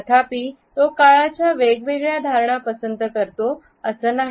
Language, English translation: Marathi, It does not mean, however, that he prefers a different perception of time